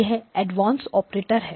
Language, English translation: Hindi, This is Advanced Operators